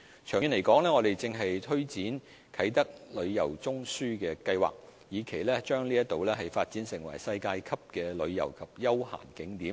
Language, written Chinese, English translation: Cantonese, 長遠而言，我們正推展"啟德旅遊中樞"計劃，以期將該處發展成世界級的旅遊及休閒景點。, In the long term we are taking forward the plans of the Tourism Node at Kai Tak with a view to developing the place as a world - class tourist and recreational attraction